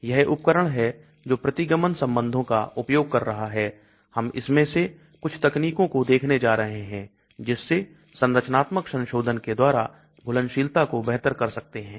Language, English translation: Hindi, it is a predictive tool using certain regression relationship we are going to look at some of these techniques by which structural modifications can improve solubility